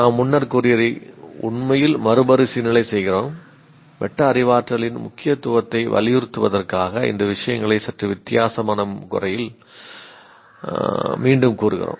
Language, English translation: Tamil, I'm just repeating these things in a slightly different way to emphasize the importance of metacognition